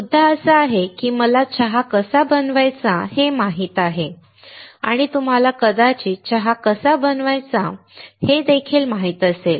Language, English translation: Marathi, The point is I know how to make a tea, and you probably would know how to make a tea as well